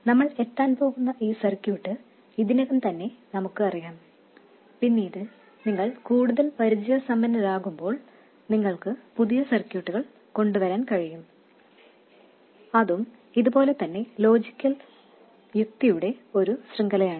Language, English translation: Malayalam, This circuit we are going to come up with is already well known but later when you become more experienced you can come up with new circuits and that is why a chain of logical reasoning just as this one